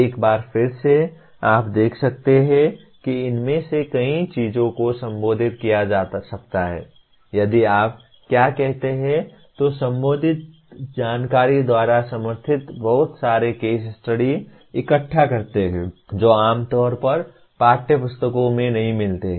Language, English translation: Hindi, Once again as you can see many of these things can be addressed if there are what do you call collect lots of case studies supported by related information which generally is not found in the textbooks